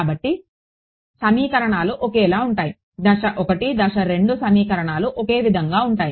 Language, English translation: Telugu, So, the equations are the same step 1 step 2 the equations are the same